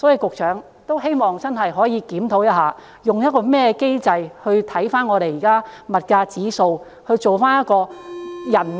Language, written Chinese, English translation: Cantonese, 因此，希望局長可以真的檢討一下，用甚麼機制檢視現時的物價指數以制訂綜援計劃。, They may not even be able to afford eating at McDonalds . Hence I hope the Secretary can really review the mechanism of formulating the CSSA Scheme in accordance with the current price indices